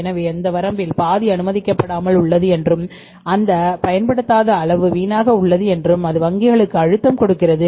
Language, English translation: Tamil, So, it means half of that limit is remaining unused and that amount is lying waste and that is a pressure on the banks